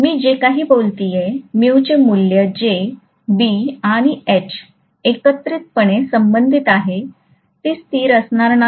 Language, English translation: Marathi, The mu value whatever I am talking about which is relating B and H together, that will not be a constant